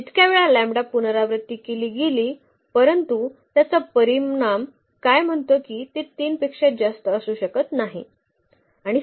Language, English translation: Marathi, As many times as the lambda was repeated, but what that result says that it cannot be more than 3